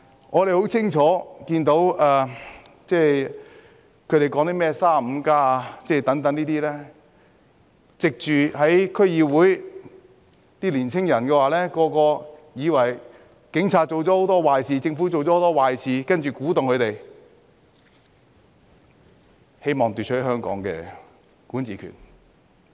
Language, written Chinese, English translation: Cantonese, 我們很清楚見到，他們宣揚 "35+"， 利用區議會，讓年輕人以為警察做了很多壞事、政府做了很多壞事，然後鼓動他們，希望奪取香港的管治權。, We have clearly seen that they promoted 35 used District Councils to make young people think that the Police have done a lot of bad things and the Government has done a lot of bad things and then instigated them in the hope of seizing the right to govern Hong Kong